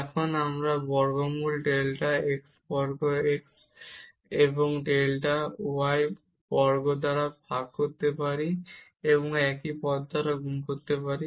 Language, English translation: Bengali, Now we can divide by the square root delta x square plus delta y square and multiply it by the same term